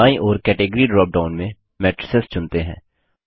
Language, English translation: Hindi, In the category drop down on the right, let us choose Matrices